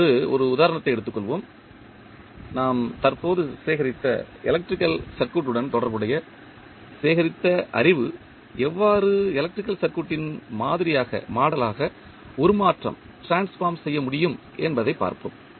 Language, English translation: Tamil, Now, let us take one example and we will see how the knowledge which we have just gathered related to electrical circuit how we can transform it into the model of the electrical circuit